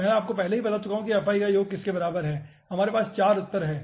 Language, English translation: Hindi, i have already told you the summation of fi is equivalent to